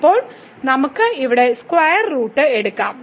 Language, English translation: Malayalam, And now, we can take the square root here